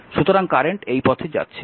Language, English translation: Bengali, so, current is going like this